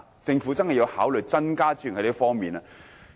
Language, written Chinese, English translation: Cantonese, 政府真的要考慮就這方面增撥資源。, I think the Government really needs to consider allocating additional resources in this area